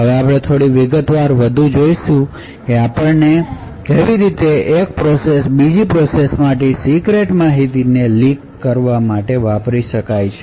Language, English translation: Gujarati, Now we will look a little more detail and we would see how one process can leak secret information from another process